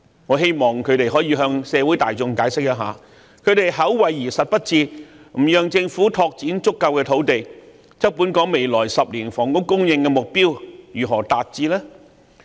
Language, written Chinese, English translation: Cantonese, 我希望他們可以向社會大眾解釋一下，他們口惠而實不至，不讓政府拓展足夠土地，那麼本港未來10年的房屋供應如何能達標呢？, I hope they can explain to the public by paying mere lip - service and forbidding the Government to develop sufficient land how can the housing supply target be reached in the next 10 years?